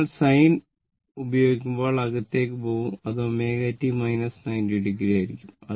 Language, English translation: Malayalam, When you go this sin term and when minus going inside, it will be omega t minus 90 degree